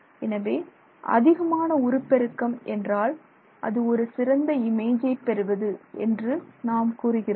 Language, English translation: Tamil, So, we say higher the magnification, you will get better images